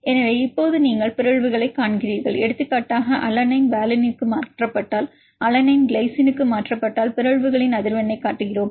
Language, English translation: Tamil, So, now you see the mutations for example, if alanine is mutated to valine, alanine is mutated to glycine, we are showing the frequency of mutations